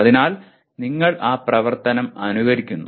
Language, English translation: Malayalam, So you mimic that action